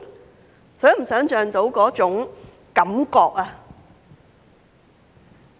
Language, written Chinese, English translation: Cantonese, 能否想象那種感覺？, Can you imagine what it feels like?